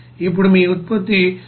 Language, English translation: Telugu, Now since your product will be of 99